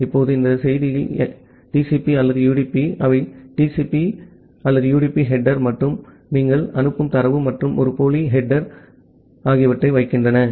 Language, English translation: Tamil, Now, in this message, so TCP or UDP, they put TCP or UDP header plus the data that you are sending plus a pseudo header